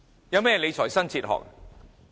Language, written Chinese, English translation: Cantonese, 有何理財新哲學？, What new fiscal philosophy does it have?